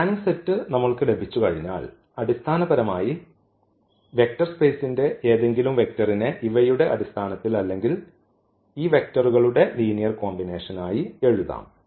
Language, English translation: Malayalam, So, this is spanning set is very important once we have this spanning set basically we can write down any vector of that vector space in terms of these given or as a linear combination of these given vectors